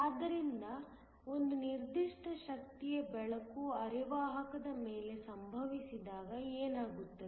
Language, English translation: Kannada, So, we want to know what happens when light of a certain energy is incident on a semiconductor